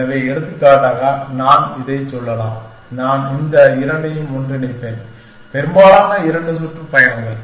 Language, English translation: Tamil, So, for example, I can say that, I will merge this two let most two tours